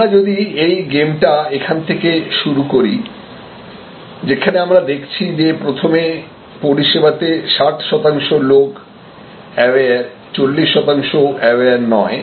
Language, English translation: Bengali, So, you see if that games starts right here in the very first only 60 percent people are aware, 40 percent not aware